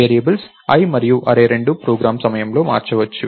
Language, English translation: Telugu, Both the variables, i and array can changed over course of the program